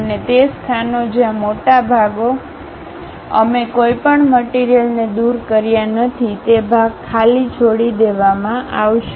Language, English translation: Gujarati, And, the places where the larger portions we did not remove any material that portion will be left blank